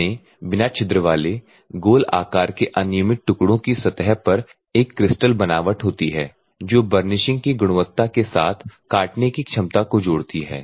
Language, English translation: Hindi, The dense non porous rounded random shaped pieces have a crystal structure at the surface that combines the cutting ability with the burnishing quality